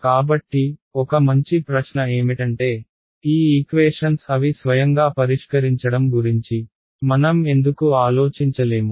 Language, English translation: Telugu, So, one good question is that why can’t we think of solving these equations by themselves right